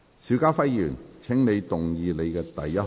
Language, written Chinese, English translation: Cantonese, 邵家輝議員，請動議你的第一項議案。, Mr SHIU Ka - fai you may move your first motion